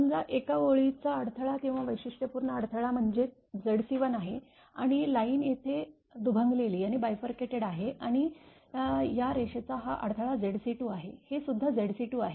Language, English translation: Marathi, Suppose there is one line surge impedance or characteristic impedance is Z c 1 and line is bifurcated here and this surge impedance of this line this side is Z c 2, this is also Z c 2